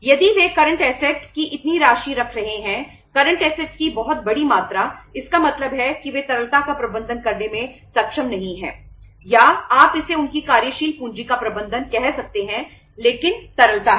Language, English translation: Hindi, If they are keeping such amount of the current assets, very large amount of the current assets it means they are not able to manage the liquidity or you can call it as their working capital properly but liquidity is there